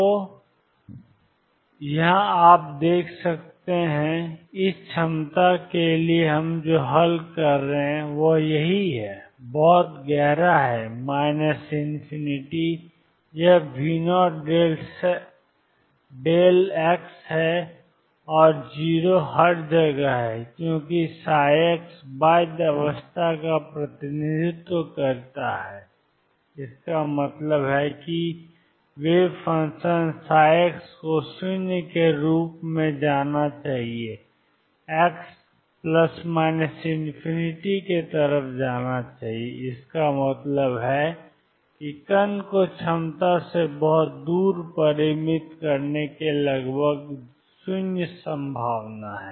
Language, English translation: Hindi, So, that it is you know mine; what we are solving for the potential is right here, very deep minus infinity this is V naught delta x and 0 everywhere else since psi x represents bound state; that means, the wave function psi x must go to 0 as x goes to plus or minus infinity; that means, there is a almost 0 probability of finite the particle far away from the potential